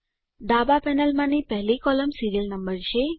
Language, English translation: Gujarati, The first column in the left panel is the serial number